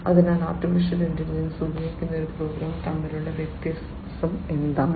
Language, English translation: Malayalam, So, what is the difference between a program, which uses AI and which does not